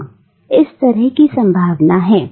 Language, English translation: Hindi, Yes that is a possibility